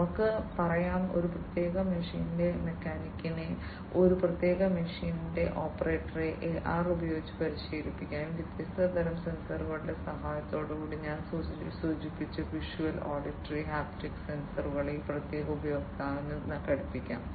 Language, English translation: Malayalam, Different you know let us say a mechanic of a particular machine, an operator of a particular machine can be trained with AR, with the help of these different types of sensors, that I just mentioned visual, auditory, haptic sensors can be attached to that particular user or the mechanic or the operator of an industrial machine